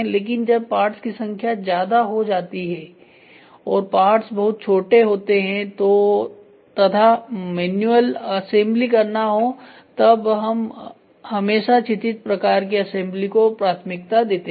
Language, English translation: Hindi, But when there are more number of parts and the parts are very small and it is manual assembly we always prefer to have a horizontal type of assembly